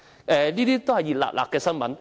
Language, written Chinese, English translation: Cantonese, 以上都是最近的新聞。, What I have just mentioned is recent news